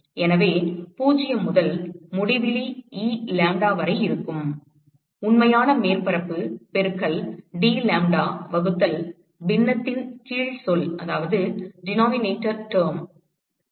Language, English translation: Tamil, So, there will be integral 0 to infinity Elambda,real surface into dlambda divided by, what is the denominator term